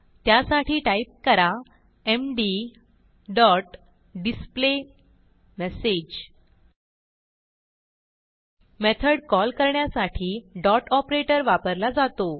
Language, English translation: Marathi, So type md dot displayMessage The Dot operator is used to call the method